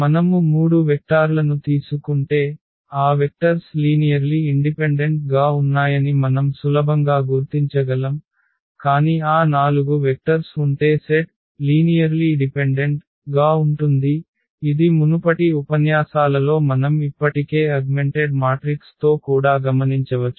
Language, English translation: Telugu, And but if we take those 3 vectors we can easily figure out their those vectors are linearly independent, but having those 4 vectors in the set the set becomes linearly dependent, that also we can observe with the theory we have already developed in previous lectures